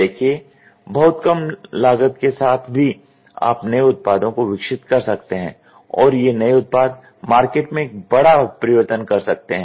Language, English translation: Hindi, See even with a very minimum cost very minimum cost you can develop innovative products and these innovative products can make a huge market change